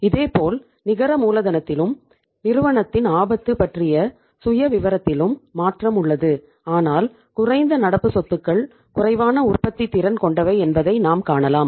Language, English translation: Tamil, Similarly, there is a change in the net working capital and the risk profile of the firm but we can see that less current assets are less productive